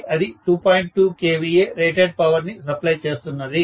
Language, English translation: Telugu, 2 kVA transformer, it will be supplying rated power of 2